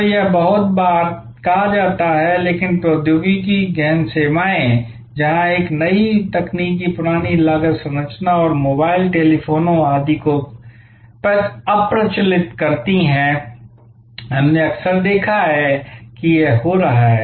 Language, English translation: Hindi, So, it happens very often in say, but technology intensive services, where a new technology obsolete the old cost structure and mobile, telephony etc, we have often seen this is happening